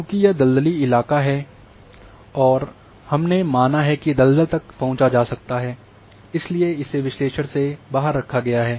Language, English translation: Hindi, Since this is the swampy area and we have said the condition the swamp is an accessible and therefore, this has been excluded in the analysis